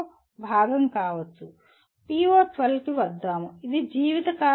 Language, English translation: Telugu, Coming to PO12, life long learning